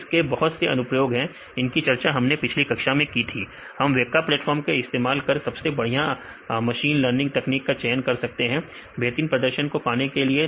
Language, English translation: Hindi, So, there are plenty of applications some of them we discussed in the last class all these applications, we can use; the weka platform and select the best machine learning techniques to achieve the highest performance